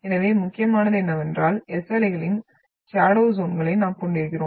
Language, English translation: Tamil, So the important is that we are having the shadows zones of the S waves